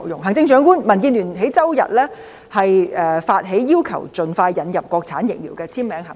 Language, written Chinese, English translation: Cantonese, 行政長官，民主建港協進聯盟在周日發起"要求盡快引入國產疫苗"的簽名行動。, Chief Executive the Democratic Alliance for the Betterment and Progress of Hong Kong staged a signature campaign Requesting the expeditious introduction of Mainland - manufactured vaccines on Sunday